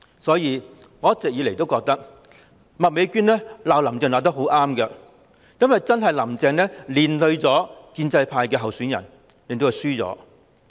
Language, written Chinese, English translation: Cantonese, 因此，我一直認為麥美娟議員罵"林鄭"罵得很對，因為真的是"林鄭"連累建制派候選人，令他們輸掉議席。, In this light I always think that Ms Alice MAK hit the nail on the head when she lashed out at Carrie LAM because it was really Carrie LAM who spread her trouble to the candidates in the pro - establishment camp and caused them to lose in the election